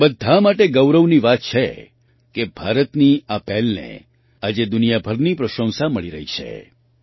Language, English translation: Gujarati, It is a matter of pride for all of us that, today, this initiative of India is getting appreciation from all over the world